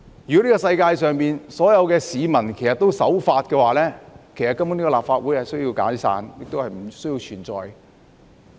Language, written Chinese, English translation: Cantonese, 如果這世界上所有市民也守法，立法會根本已可以解散，亦不需要存在。, If all the people in the world are law - abiding the Legislative Council actually could be dissolved and its existence would not be necessary